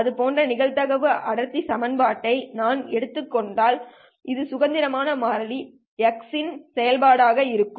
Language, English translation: Tamil, If I take a probability density function that looks like this as a function of say some independent variable x, so this would be f of x